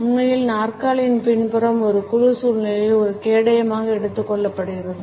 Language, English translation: Tamil, In fact, the back of the chair has been taken up as a shield in a group situation